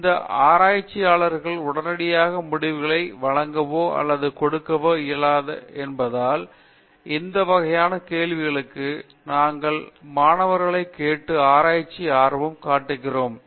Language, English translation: Tamil, So, this type of questions we asked the students and make them interested in the research because these researchers will not provide or give results immediately